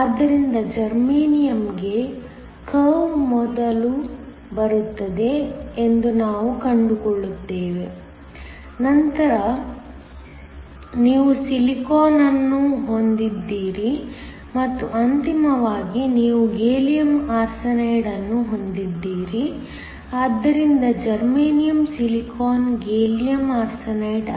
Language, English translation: Kannada, So, we find that the curve for Germanium comes first, then you have Silicon and then finally you have Gallium Arsenide; so, Germanium, Silicon, Gallium Arsenide